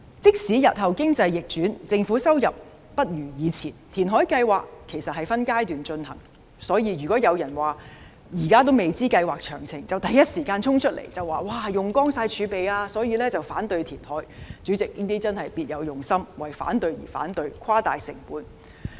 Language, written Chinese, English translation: Cantonese, 即使日後經濟逆轉，政府收入大不如前，填海計劃其實是分階段進行的，所以，現時還未知道計劃詳情便第一時間衝出來指計劃會花光儲備，因而反對填海，這樣真是別有用心，為反對而反對，誇大成本。, Even if the economy turns bad later and the Government does not have so much income as before the fact is that the reclamation project is to be carried out in phases . If somebody should jump out in the first instance to claim that all of the reserves will be depleted without knowing the details and then oppose the reclamation I will consider them harbouring ulterior motives and opposing for the sake of opposition by exaggerating the reclamation cost